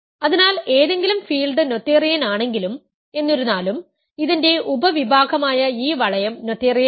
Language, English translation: Malayalam, So, if any field is noetherian; however, this ring which is a subring of this is not noetherian